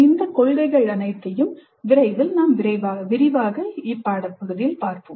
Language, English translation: Tamil, We will elaborate on all these principles shortly